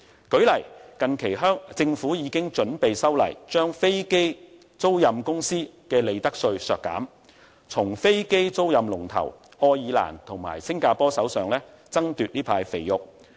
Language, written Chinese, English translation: Cantonese, 舉例來說，近期政府已經準備修例，削減飛機租賃公司的利得稅，從飛機租賃龍頭愛爾蘭和新加坡手上爭奪這塊"肥肉"。, For example the Government now intends to amend the relevant legislation to reduce the profit tax for aircraft leasing companies with the aim of snatching this type of lucrative business from leading market players such as Ireland and Singapore